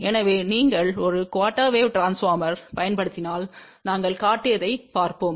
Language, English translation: Tamil, So, if you use one quarter wave transformer, so let us see what we have shown